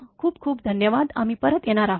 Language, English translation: Marathi, Thank you very much we will be back again